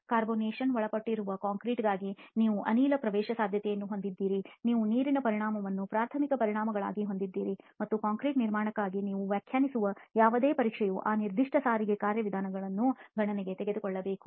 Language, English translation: Kannada, For a concrete which is subjected to carbonation you have gas permeation, you have water sorption as the primary effects and any test that you define for the concrete construction should take into account those specific transport mechanisms